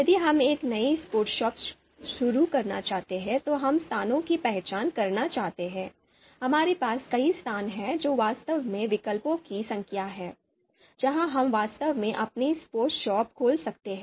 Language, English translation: Hindi, So if we are looking to open a new sports shop and we are looking to identify locations you know so we have a number of location, so those are actually the number of alternatives, where we can actually open our sports shop